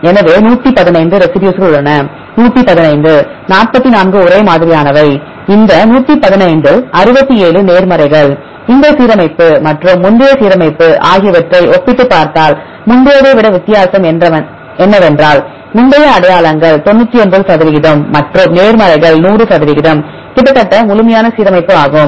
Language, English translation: Tamil, So, there are 115 residues; among 115, 44 are same and among this 115, 67 are positives, if you compare this alignment and the previous alignment what is a difference right the previous one it is identities 99 percent and the positives are 100 percent almost complete alignment